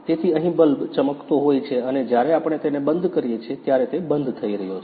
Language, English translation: Gujarati, So, here the bulb is glowing on and when we turn it off, it is getting off